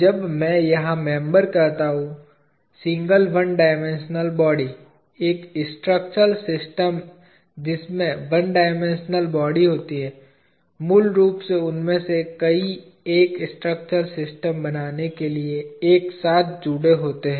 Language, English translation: Hindi, When I say member here, single one dimensional body; a structural system consisting of one dimensional body, is basically many of them connected together to form a structural system